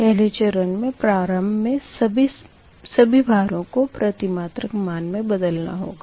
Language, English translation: Hindi, first you have to convert all the loads in per unit values